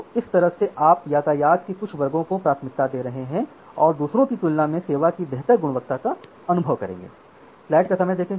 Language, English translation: Hindi, So, that way you are giving priority to certain classes of traffic which will experience better quality of service compared to others